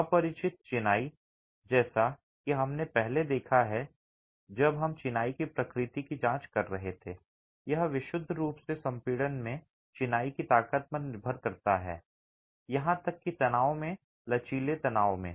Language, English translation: Hindi, The unreinforced masonry as we have seen earlier when we were examining the nature of masonry, it relies purely on the strength of masonry in compression, even in tension, in flexual tension